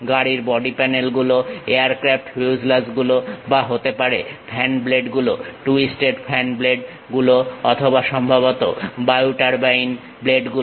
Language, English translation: Bengali, Car body panels, aircraft fuselages, maybe the fan blades, the twisted fan blades and perhaps wind turbine blades